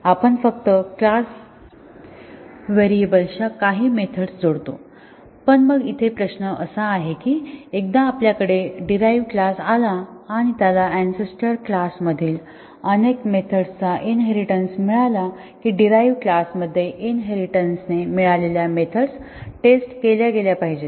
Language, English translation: Marathi, We just add few methods of class variables, but then the question here is that, once we have a derived class and it inherits many of the methods from the ancestor classes should the inherited methods be tested in the derived class